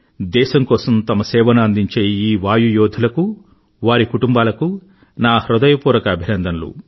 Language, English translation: Telugu, From the core of my heart, I congratulate those Air Warriors and their families who rendered service to the nation